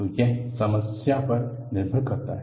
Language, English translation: Hindi, So, it depends on the problem